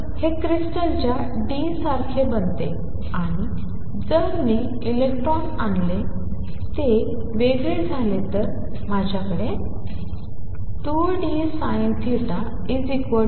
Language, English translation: Marathi, So, this becomes like the d of the crystal, and if I bring the electrons in and they diffract then I should have 2 d sin theta equals lambda electrons